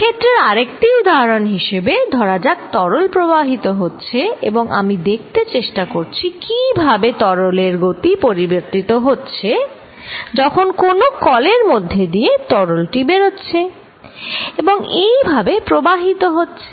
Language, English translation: Bengali, Another example of field is going to be, suppose there is fluid flowing and I try to see, how the velocity of this fluid is changing, this may be coming out of what a tap here and fluid may flow like this